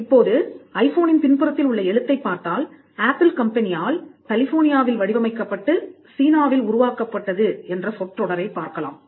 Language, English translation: Tamil, Now, if you look at the writing at the back of the iPhone, you will find that the phrase designed by Apple in California and assembled in China is almost common for all Apple products and more particularly for iPhones